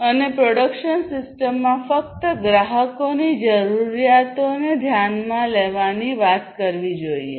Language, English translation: Gujarati, And the production system should talk about only addressing the customers’ needs